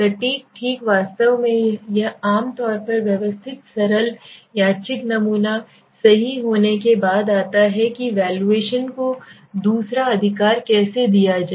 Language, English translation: Hindi, Precise okay actually this generally comes after the systematic simple random sampling right it is the issue if you asked me about how to take the valuation second one right